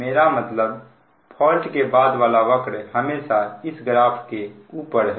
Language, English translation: Hindi, this power curve always above this graphs